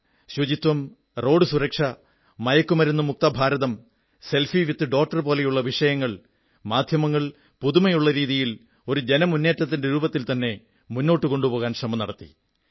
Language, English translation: Malayalam, Issues such as cleanliness, Road safety, drugs free India, selfie with daughter have been taken up by the media and turn into campaigns